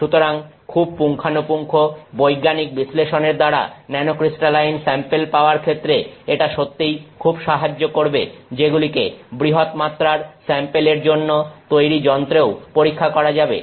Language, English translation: Bengali, So, it really helps for a very thorough scientific study to have samples which are nanocrystalline which can also be tested on instruments that are meant for larger scale samples